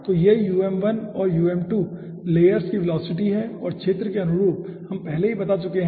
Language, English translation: Hindi, so these are the velocities for the layers, okay, um1 and um2, and corresponding to area we have already stated